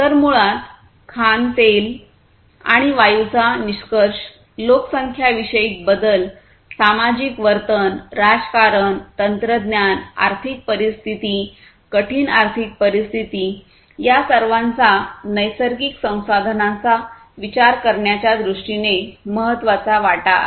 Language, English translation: Marathi, So, basically concerns about too much of mining too much of extraction of oil and gas, demographic shifts, societal behavior, politics, technology, economic situations, difficult economic situations all of these are major contributors in terms of the consideration of natural resources